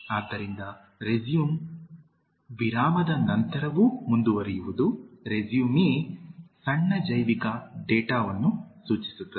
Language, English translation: Kannada, So, resume is to continue after a break, résumé refers to a short bio data